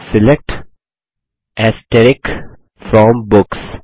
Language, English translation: Hindi, SELECT * FROM Books